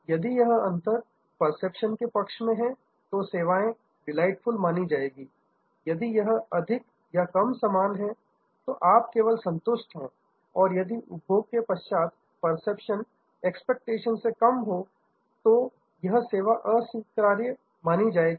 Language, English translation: Hindi, If that gap is in favor of the perception, then the service is delightful, if it is more or less equal, then you just satisfied and if the post consumption perception is less than expectation and that service is unacceptable